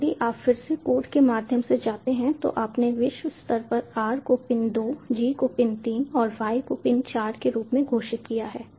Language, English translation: Hindi, now, if you go through the code again, so you have globally declared r as pin two, g as pin three and y as pin four